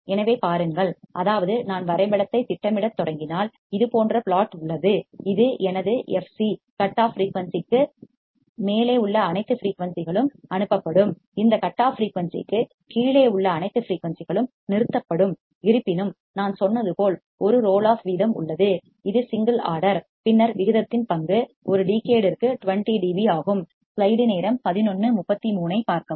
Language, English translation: Tamil, So, see; that means, if I start plotting the graph what I will see is that it has plot like this where this is my f c all frequencies above cutoff frequency that will be passed, all frequencies below this cutoff frequency will be stopped; however, there is a roll off rate like I said and this is a single order then role of rate is of 20 dB per decade